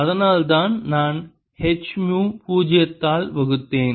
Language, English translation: Tamil, that's why i divided by h ah, mu zero